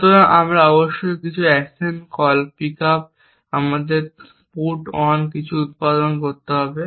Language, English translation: Bengali, So, we must produce some action calls pickup our put on something